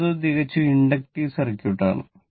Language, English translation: Malayalam, So, next is the purely inductive circuit, purely inductive circuit